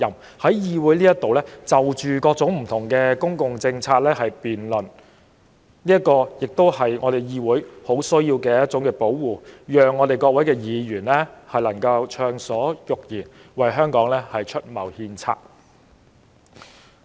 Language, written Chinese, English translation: Cantonese, 各位議員在議會就各種公共政策辯論時，也很需要受到保護，讓我們能夠暢所欲言，為香港出謀獻策。, Members also need to be protected when we debate various public policies in the Council so that we can speak freely to provide advice and make suggestions for Hong Kong